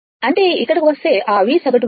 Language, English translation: Telugu, That means, if you come here that V average value